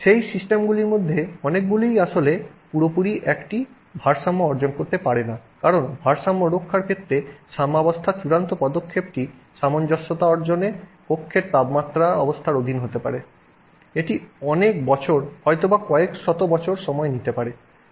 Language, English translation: Bengali, Many of those systems have actually not completely attained equilibrium because the final step in the equilibrium may take, you know, may take under the room temperature conditions it may take several years, maybe several hundreds of years before it attains that equilibrium